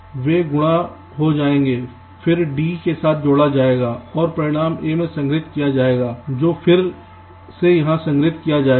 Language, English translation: Hindi, they would get multiplied, then added with d and the result will be stored in a, which again would be stored here